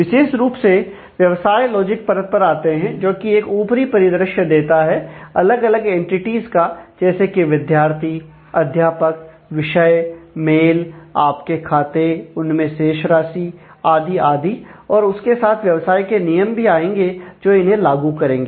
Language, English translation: Hindi, So, coming to the business logic layer specifically, that provides abstraction of that will provide abstraction of various entities, students, instructors, courses, mails, your accounts, balance and so on, and that will enforce business tools for carrying out this